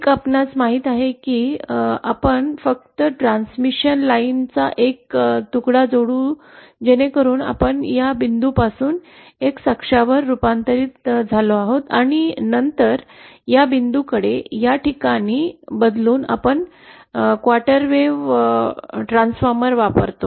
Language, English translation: Marathi, One could be you know we simply add a piece of transmission line so that we are transformed from this point to the X axis and then from transforming to this point to this the origin we use a quarter wave transformer